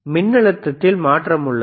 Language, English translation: Tamil, yes, you see tThere is a change in voltage